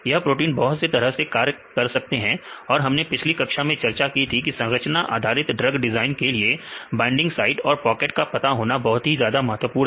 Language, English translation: Hindi, Because they performed various functions we discussed in the previous classes and structure based drug design they are important to identify the binding sites and the pockets right